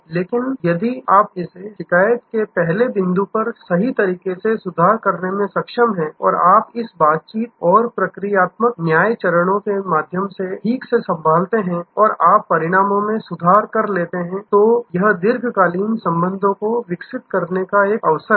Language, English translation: Hindi, So, if you are able to set it right at the very first point of complaint and you handle it properly through this interaction and procedural justice steps and you set the outcome is rectified, then, there is an opportunity to develop long term relationship